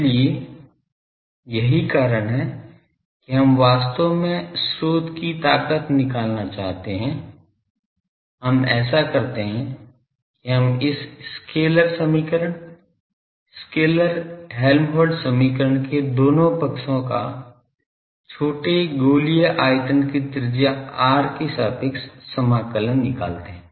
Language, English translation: Hindi, So, that is why we actually to find the source strength, we do this that we integrate the both sides of this scalar equation, scalar Helmholtz equation over a small spherical volume of radius r